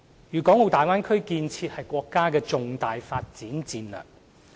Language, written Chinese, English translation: Cantonese, 粵港澳大灣區建設是國家的重大發展戰略。, The development of the Bay Area is a key national development strategy